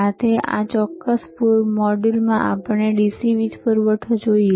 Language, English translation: Gujarati, Today in this particular module, let us see the DC power supply